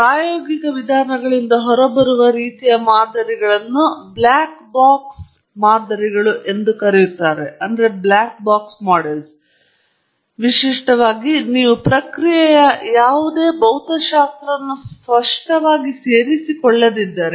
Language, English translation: Kannada, And the kind of models that come out of empirical approaches are called black box models, typically, where you don’t incorporate necessarily any physics of the process, explicitly